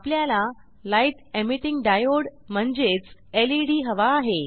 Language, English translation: Marathi, We also need a Light Emitting Diode, know as LED